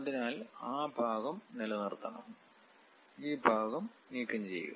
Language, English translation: Malayalam, So, we want to retain that part, remove this part